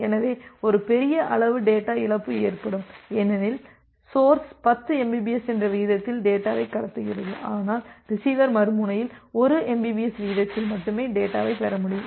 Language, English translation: Tamil, So, there will be a huge amount of data loss because source is transmitting data at a rate of 10 mbps, but the receiver the other end, receiver is only able to receive data at a rate of 1 mbps